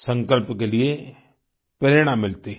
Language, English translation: Hindi, There is inspiration for resolve